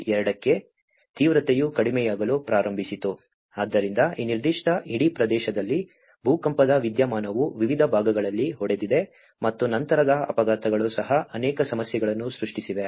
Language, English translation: Kannada, 2 the intensity started reducing, so this is where the earthquake phenomenon has hit in this particular whole country in different parts and aftershocks also have created many issues